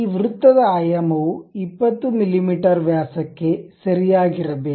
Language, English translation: Kannada, This circle dimension supposed to be correct 20 mm in diameter